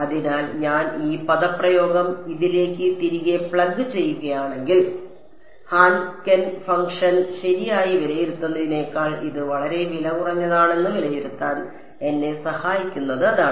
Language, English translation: Malayalam, So, if I plug this expression back into this that is I mean that is what will help me evaluating this is much cheaper than evaluating Hankel function right